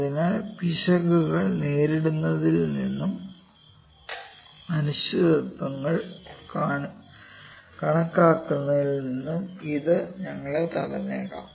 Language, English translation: Malayalam, So, it may prevent us from encountering measurement errors and which calculate uncertainties